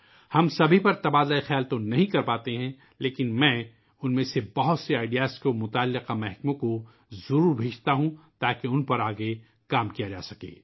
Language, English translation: Urdu, We are not able to discuss all of them, but I do send many of them to related departments so that further work can be done on them